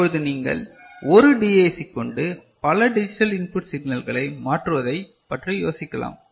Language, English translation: Tamil, Then, you can think of using one DAC to convert multiple digital input signal, is it fine